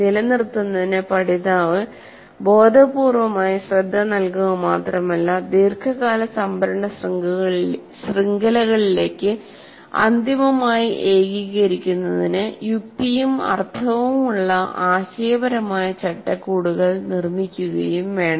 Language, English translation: Malayalam, So, retention requires that the learner not only give conscious attention, but also build conceptual frameworks that have sense and meaning for eventual consolidation into the long term storage networks